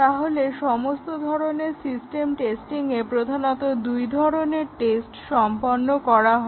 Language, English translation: Bengali, So, in all the system testing there are basically two types of tests that are carried out